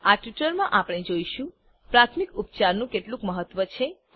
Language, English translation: Gujarati, In this tutorial we will see * How important is first aid